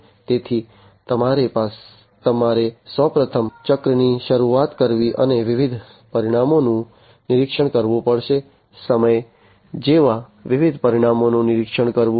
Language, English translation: Gujarati, So, you have first of all the starting of the cycle and monitoring different parameters; monitoring different parameters such as time etc